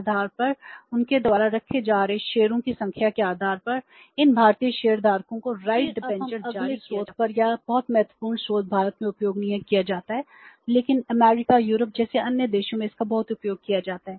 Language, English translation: Hindi, Then we move to the next source and this very very important source not much used in India but it is very much used in the other countries like US Europe